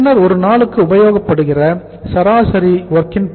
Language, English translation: Tamil, Then is the average WIP committed per day